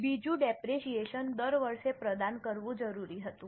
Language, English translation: Gujarati, The second one was depreciation is required to be provided every year